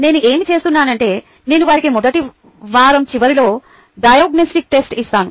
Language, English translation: Telugu, what i do is i give them a diagnostic test at the end of ah